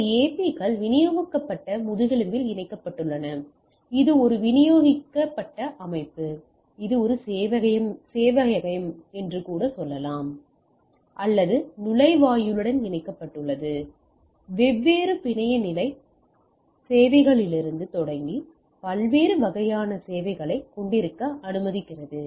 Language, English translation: Tamil, This AP’s are connected on a distributed on a backbone, which is a distribution systems, which in turn connected to a server or gateway, which allows it to different type of services starting from different network level services right